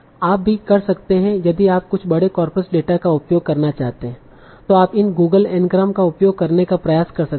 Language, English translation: Hindi, You can also, if you want to use some large corpus data, you can try to use Google engrams